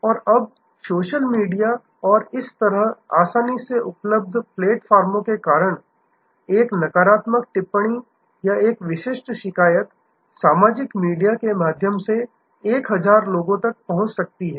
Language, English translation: Hindi, And now, because of social media and other such easily available platforms, a negative comment or a specific complaint can reach 1000s of people through the social media